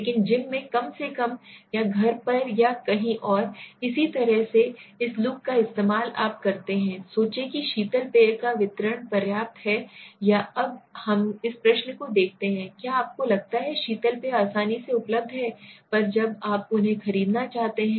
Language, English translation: Hindi, But on the gym at least or on the in the home or somewhere similarly use this look at this do you think the distribution of soft drinks is adequate or now let us look at this question, do you think soft drinks ate readily available when you want to buy them